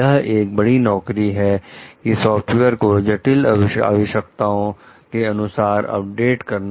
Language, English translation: Hindi, It is a big job to update the software in response to complex requests